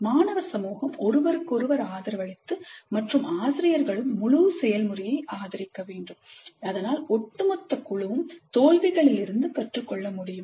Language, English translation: Tamil, The student community can support each other and faculty also must support the entire process and then it is possible that the group as a whole can learn from failures also